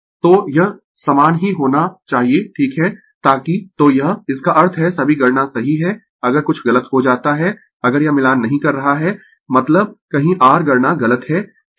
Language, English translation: Hindi, So, it has to be same right so that so this; that means, all calculations are correct if something goes wrong if it is not matching means somewhere your calculation is wrong right